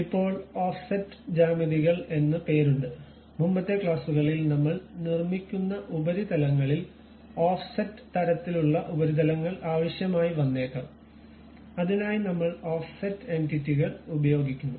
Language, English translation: Malayalam, Now, there is something named Offset geometries; in the earlier classes we have seen when surfaces we are constructing we may require offset kind of surfaces also, for that purpose we use this Offset Entities